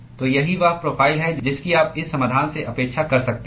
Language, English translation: Hindi, So, that is the profile that you can expect from this solution